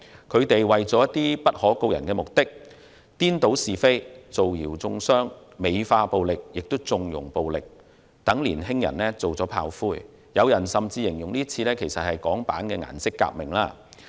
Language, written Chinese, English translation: Cantonese, 他們為了達到不可告人的目的，顛倒是非、造謠中傷、美化並縱容暴力，讓年輕人當炮灰，甚至有人形容今次事件是港版顏色革命。, In order to achieve their hidden objectives they reverse right and wrong spread rumours and slanders glorify and connive at violence make young people their cannon fodder and some people have even likened the current incident to a Hong Kong - version Colour Revolution